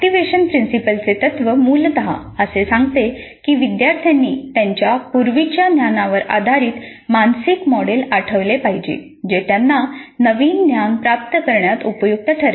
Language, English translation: Marathi, The activation principle essentially says that the learners must recall a mental model based on their prior knowledge which would be helpful in receiving the new knowledge